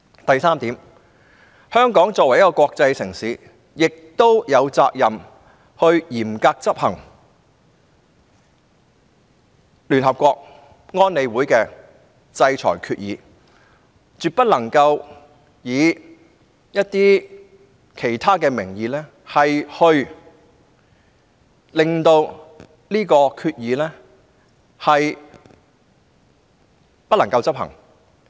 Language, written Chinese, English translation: Cantonese, 第三，香港作為一個國際城市，是有責任嚴格執行聯合國安理會的制裁決議，絕不能藉其他名義使有關決議無法執行。, Third as an international city Hong Kong is duty - bound to implement the resolutions of the United Nations Security Council in relation to sanctions and never should we no matter under what kind of pretexts make it not executable